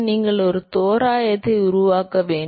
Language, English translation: Tamil, You have to make an approximation